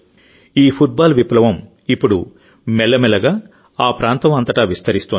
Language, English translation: Telugu, This football revolution is now slowly spreading in the entire region